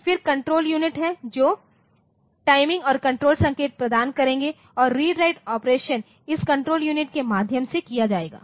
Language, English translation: Hindi, Then there is control unit to control unit will provide timing and control signals and the read write operations will be done through this control unit